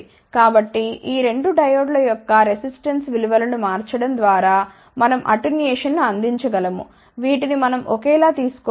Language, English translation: Telugu, So, we can provide attenuation simply by changing the resistance values of these 2 diodes, which we should take as identical